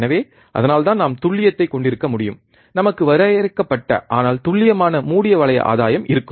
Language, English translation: Tamil, So, that is why we can have accuracy, we will have finite, but accurate close loop gain, alright